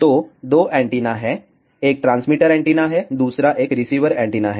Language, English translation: Hindi, So, there are 2 antennas; one is a transmitter antenna, second one is a receiver antenna